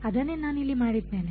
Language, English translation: Kannada, That is what I have done over here